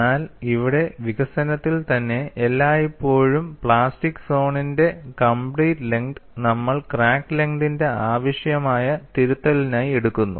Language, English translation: Malayalam, But here in the development itself, we always take the complete length of the plastic zone as a correction required for the crack length